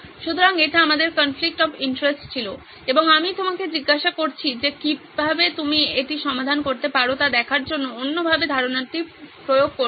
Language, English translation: Bengali, So this is the conflict of interest we had and I am asking you to apply the other way round idea to see how you can solve this